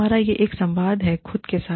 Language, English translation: Hindi, We have a dialogue, with ourselves